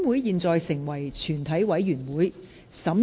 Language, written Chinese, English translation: Cantonese, 現在成為全體委員會。, Council became committee of the whole Council